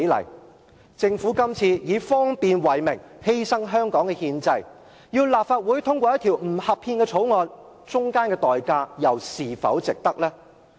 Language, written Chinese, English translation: Cantonese, 這次政府以方便為名，要立法會通過一項不合憲的法案，當中要付出的憲制代價又是否值得呢？, This time the Government asks the Council to endorse an unconstitutional bill in the name of convenience . Is this a good enough reason justifying the constitutional price we pay?